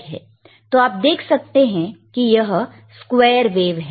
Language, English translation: Hindi, So, how you can say it is a square wave or not